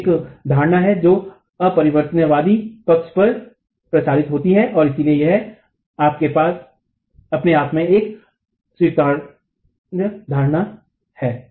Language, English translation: Hindi, So, this is an assumption which is erring on the conservative side and so is an acceptable assumption itself